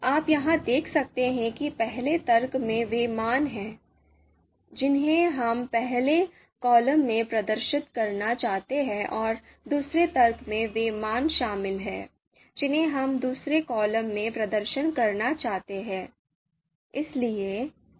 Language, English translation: Hindi, You can see here that you know first argument is the values which we would like to display in the first column and the second argument is consisting of you know the values which we would like to display in the second column